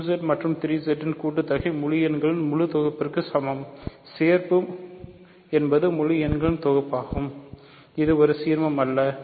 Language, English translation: Tamil, So, the sum of 2Z and 3Z is equal to the full set of integers; the union is just some collection of integers which is not an ideal, ok